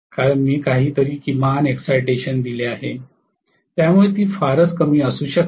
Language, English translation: Marathi, Because I have provided some minimum excitation may be hardly any